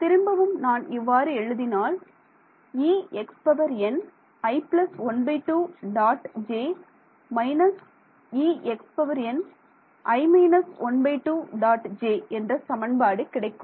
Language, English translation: Tamil, So, let us write actually what we should we do is write down the equation